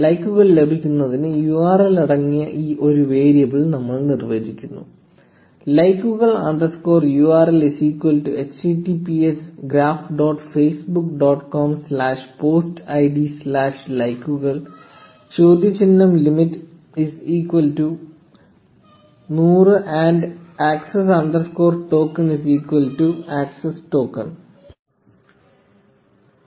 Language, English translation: Malayalam, And we define a variable containing the URL for getting likes, likes underscore URL is equal to https graph dot facebook dot com slash post id slash likes question mark limit is equal to 100 and access underscore token is equal to the access token